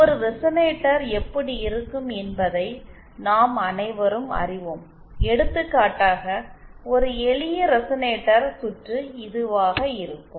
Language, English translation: Tamil, We all know what a resonator looks like, for example a simple resonator circuit would be like this